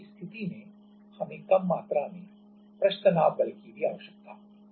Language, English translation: Hindi, In that case we will even require lesser amount of surface tension force